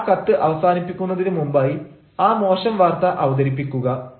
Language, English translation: Malayalam, and when you are going to close the letter, but before you close to letter, present the bad news